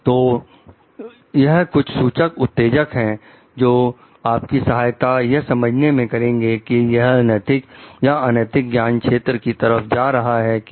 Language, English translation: Hindi, So, these are some of the pointers triggers, which may help you to understand whether it is moving towards an ethical or unethical domain